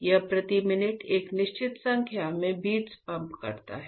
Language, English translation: Hindi, It pumps a certain number of beats per minute